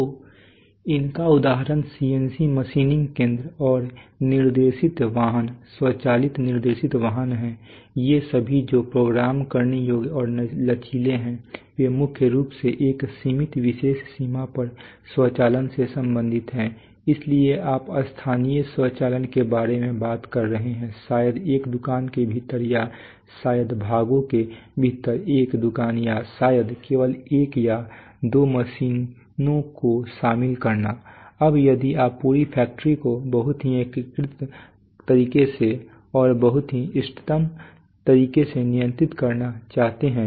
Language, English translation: Hindi, So the examples are CNC machining centers and guided vehicles, automatic guided vehicles now still all these that is fixed programmable and flexible they are mainly concerned with automation over a limited special range so you are talking about local automation maybe within a shop or maybe within parts of a shop or maybe involving just one or two machines, now if you want to really control the whole factory in a in a very integrated manner and in a very optimal manner